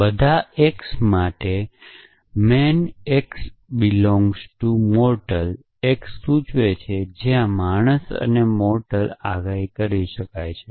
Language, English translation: Gujarati, For all x, man x implies mortal x where, man and mortal predicates